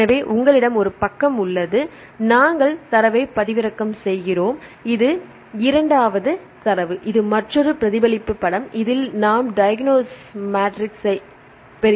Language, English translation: Tamil, So, you have one side we get the data this is second data is this mirror image of the other right that is we get the diagonal matrix